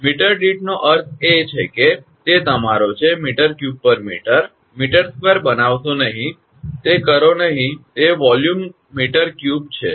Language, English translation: Gujarati, Per meter means that it is your, do not make me your m cube by mm square, do not do that it is volume meter cube